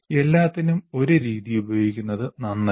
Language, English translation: Malayalam, You do not want to use one method for everything